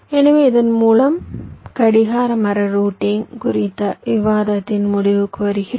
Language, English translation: Tamil, we come to the end of a discussion on clock tree routing